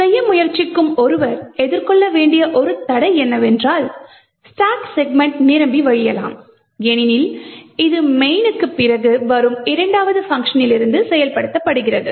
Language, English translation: Tamil, The one hurdle which one would probably face while trying to go this is that the stack segment may actually overflow for instance because this is from the second function which is invoked soon after main